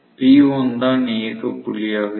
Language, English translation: Tamil, So, P1 will be the operating point